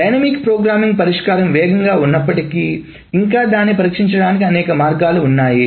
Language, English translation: Telugu, So the dynamic programming solution even though it's faster but it still there are many many ways one can do it